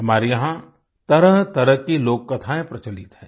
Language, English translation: Hindi, Myriad folk tales are prevalent here